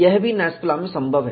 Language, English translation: Hindi, This is also possible in NASFLA